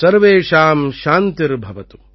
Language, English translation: Tamil, Sarvesham Shanti Bhavatu